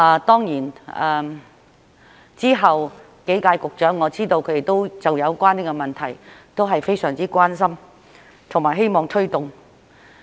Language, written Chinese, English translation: Cantonese, 當然，之後幾屆局長，我知道他們都就有關問題都非常關心和希望推動。, Of course I know that the subsequent Secretaries were also very concerned about the problem and wished to take it forward